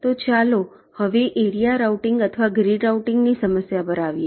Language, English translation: Gujarati, ok, so let us now come to the problem of area routing or grid routing